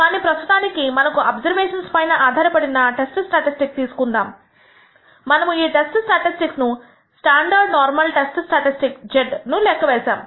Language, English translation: Telugu, But let us for the time being take it that we have a test statistic based on the observations we have made and this test statistic that we have computed is the standard normal test statistic z